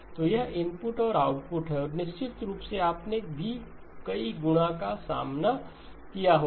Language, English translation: Hindi, So this is input and output and of course you would have also encountered multiplication